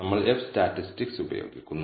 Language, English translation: Malayalam, So, to do so we use the F statistic